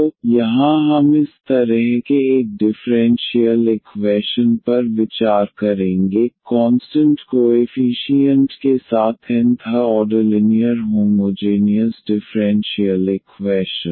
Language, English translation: Hindi, So, here we will consider such a differential equation, the nth order linear homogeneous differential equation with constant coefficient